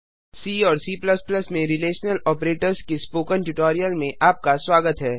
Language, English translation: Hindi, Welcome to the spoken tutorial on Relational Operators in C and C++